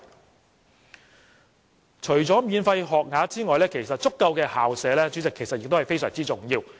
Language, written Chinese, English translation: Cantonese, 主席，除了免費學額之外，足夠的校舍其實亦非常重要。, President apart from free school places it is also very important to have adequate school premises